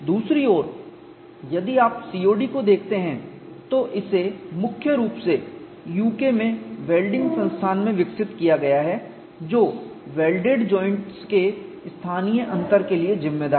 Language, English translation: Hindi, On the other hand, if you look at COD, it is mainly developed in the UK at the Welding Institute which accounts for the local differences of the welded joint, thus more directed to the design of welded parts